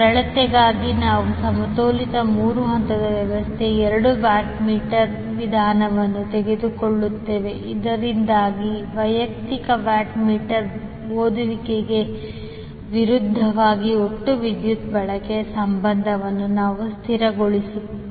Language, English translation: Kannada, For simplicity we will take the two watt meter method for a balanced three phase system so that we can stabilize the relationship of the total power consumption versus the individual watt meter reading